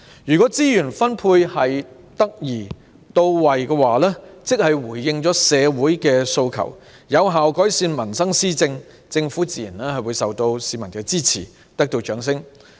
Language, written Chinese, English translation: Cantonese, 如果資源分配得宜到位、回應社會訴求及有效改善民生施政，政府自然會受到市民支持，得到掌聲。, If the allocation of resources is appropriate and can respond to the demands of the community and effectively improve peoples livelihood and governance the Government will naturally win public support and applause